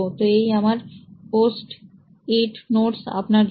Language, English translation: Bengali, So here are my post it notes for you